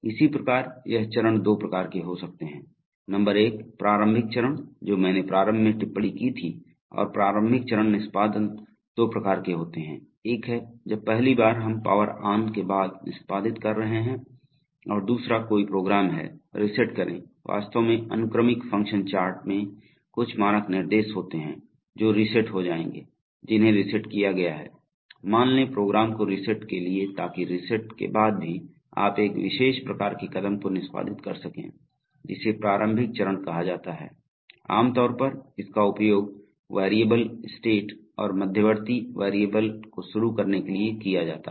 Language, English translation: Hindi, Similarly this steps can be of two types, number one initial step I had remarked the initial step and the initial step execution can be of two types, one is when the first time we are executing after power on and second is, if a program reset actually sequential function charts have some standard instructions which will reset which are assumed to be reset, assume to reset the program so after reset also you can execute a particular type of step called the initial step, typically used for initializing variables and states and intermediate variables